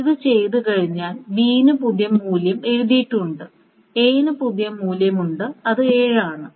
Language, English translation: Malayalam, So again, after this is being done, B is the new value of B is written and A is the new value which is the 7, this value